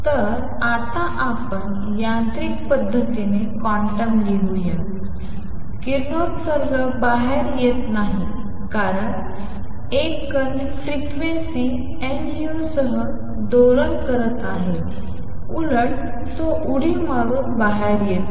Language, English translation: Marathi, So, let us now write quantum mechanically; radiation does not come out because a particle is oscillating with frequency nu rather it comes out by jumps